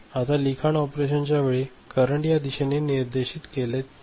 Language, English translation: Marathi, So, the current will be directed in this direction